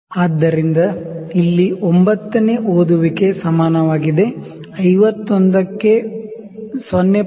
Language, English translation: Kannada, So, it is 9th reading which is equal to 51 plus 0